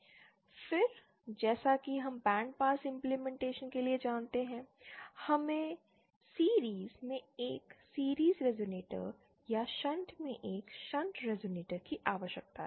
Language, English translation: Hindi, Then as we know for bandpass implementation, we need a series resonator in series or a shunt resonator in shunt